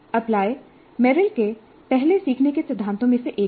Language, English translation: Hindi, Apply is one of the first learning principles of Meryl